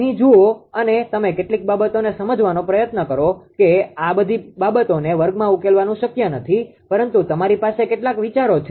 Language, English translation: Gujarati, Here look here you try to understand certain things that although it is a it is not possible to solve in the class all these things, but some ideas you have